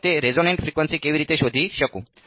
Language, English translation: Gujarati, So, how would I find that resonate frequency